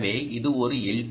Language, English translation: Tamil, so it can be an l